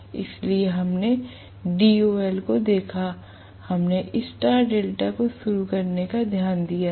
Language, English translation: Hindi, So we looked at DOL, we looked at star delta starting